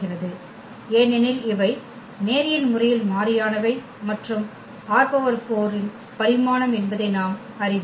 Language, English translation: Tamil, So, this forms a basis because these are linearly independent and we know that the dimension of R 4 is 4